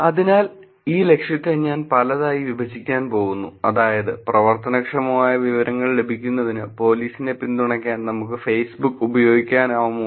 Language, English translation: Malayalam, So, let me just break this objective into pieces, which is, can we use Facebook to support police to get actionable information